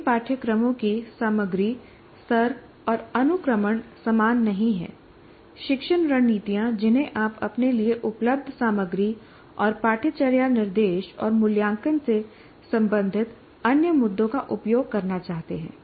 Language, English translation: Hindi, And content of all courses are not the same, content level and sequencing, teaching strategies that you want to use, the materials that are available to you, and other issues related to curriculum, instruction and assessment